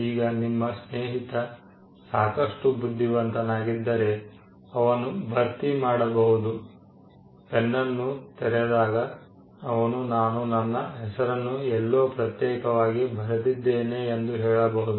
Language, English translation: Kannada, Now, if your friend is smart enough, he could just fill up, his pen just opens it up and say you know I had written my name somewhere discreetly